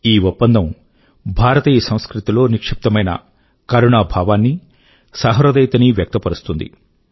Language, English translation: Telugu, This agreement also epitomises the inherent compassion and sensitivity of Indian culture